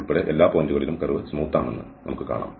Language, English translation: Malayalam, And in this particular case, we will see that the curve is smooth